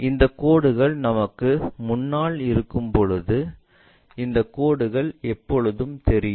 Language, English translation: Tamil, Whereas these lines are in front of us so, these lines are always be visible